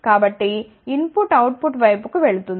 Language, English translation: Telugu, So, input will go to the output side